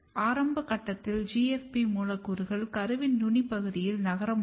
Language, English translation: Tamil, But at early stage you can see that GFP molecules can move in the apical region of the embryo